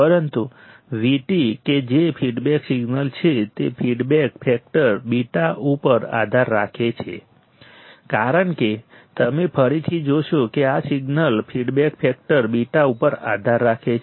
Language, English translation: Gujarati, But V t that is feedback signal depends on the feedback factor beta because you see again this signal depends on the feedback factor beta